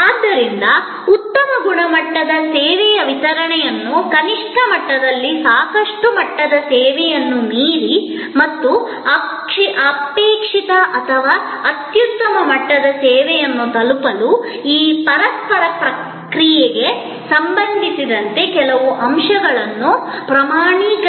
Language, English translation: Kannada, So, to create a good standard, delivery of service which is at least in the, beyond the adequate level of service and approaching the desired or excellent level of service, it is necessary that some aspects are standardized regarding this interaction